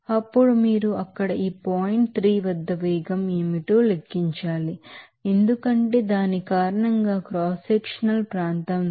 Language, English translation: Telugu, Then you have to of course calculate what is the velocity at this point 3 there, because of that by cross sectional area